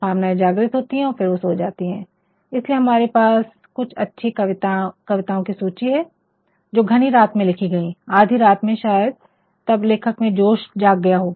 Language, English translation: Hindi, Emotions are evoked maybe those emotions are subsided, that is why there are completely a list of good poems, which were written sometimes at the dead of night, sometimes and midnight, when the writer might have been ignited